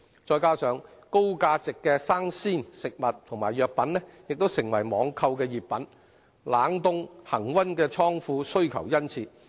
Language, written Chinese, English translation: Cantonese, 再加上高價值的生鮮食物和藥品，亦成為網購熱品，冷凍、恆溫的倉庫需求殷切。, Meanwhile since raw and fresh food as well as pharmaceuticals of high value have also become hot items for online shopping there is a keen demand for more land for the construction of cold storage warehouses